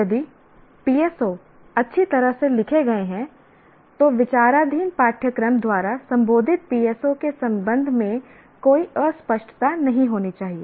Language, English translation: Hindi, So, if PSOs are written well, there should not be any ambiguity regarding the PSO addressed by the course under consideration